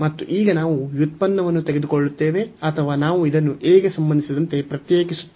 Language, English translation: Kannada, And now we will take the derivative or we will differentiate this with respect to a